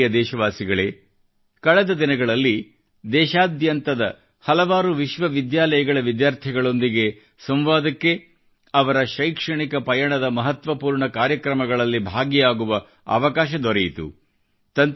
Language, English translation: Kannada, in the past few days I had the opportunity to interact with students of several universities across the country and be a part of important events in their journey of education